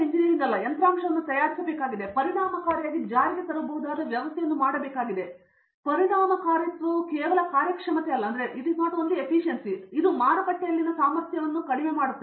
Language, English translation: Kannada, I need to make a hardware or I need to make a system that could be effectively implemented that effectiveness is just not performance, but it is also cost and sell ability in the market